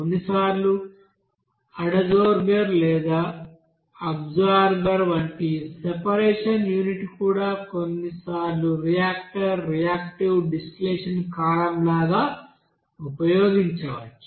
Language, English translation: Telugu, Even other you know sometimes separation unit like adsorber, absorber, all those units, even sometimes reactor also can be used, like reactive distillation column